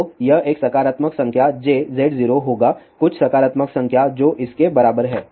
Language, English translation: Hindi, So, this will be a positive number j Z 0 some positive number which is equivalent to there